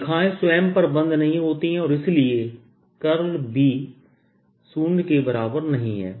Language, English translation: Hindi, lines close on themselves, therefore curl of b is not equal to zero